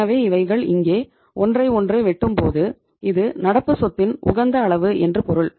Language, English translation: Tamil, So when they are intersecting with each other here it means this is the optimum level of current asset